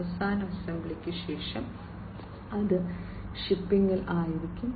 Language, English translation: Malayalam, And after final assembly, it will be shipping